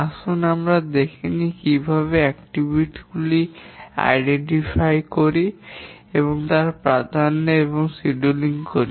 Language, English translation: Bengali, Let's look at how we do identify the activities and then we identify the precedents and schedule